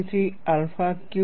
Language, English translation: Gujarati, 43 alpha cubed